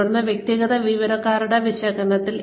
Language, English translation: Malayalam, Then, analysis of individual employees